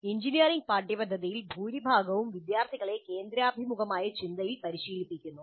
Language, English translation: Malayalam, And most of the engineering curricula really train the students in convergent thinking